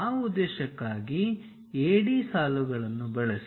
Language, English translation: Kannada, For that purpose use AD lines